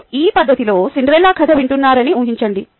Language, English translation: Telugu, ok, imagine you are hearing cinderella story in this fashion